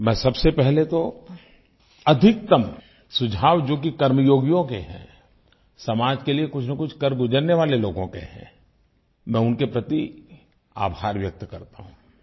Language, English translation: Hindi, First of all, I express my gratitude to the Karma yogis and those people who have offered some or the other service to the society and recommend maximum suggestions